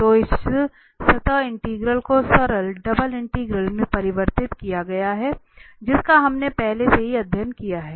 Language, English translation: Hindi, So this surface integral is converted to the simple double integral, which we studied already